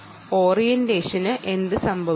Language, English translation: Malayalam, what happened to the orientation